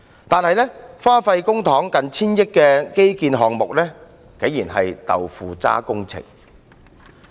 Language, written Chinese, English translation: Cantonese, 然而，花費近千億元公帑的基建項目，竟然是"豆腐渣"工程。, It is so startling that an infrastructure project costing public monies of almost 100 billion ends up in shoddy works